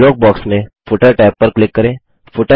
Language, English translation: Hindi, Now click on the Footer tab in the dialog box